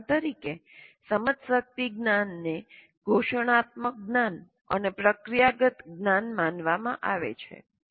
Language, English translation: Gujarati, For example, the metacognitive knowledge is considered to be declarative knowledge and procedural knowledge